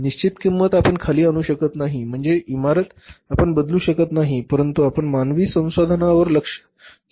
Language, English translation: Marathi, Fix cost you can't bring down but at least means the plant building you can't change but you can focus upon the human resources